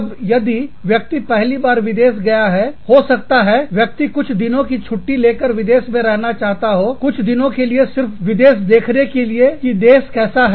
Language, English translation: Hindi, Then, if a person is visiting a foreign country, for the first time, the person may decide to take leave for a few days, and stay in that foreign country, for a few days, just to see, what the country is like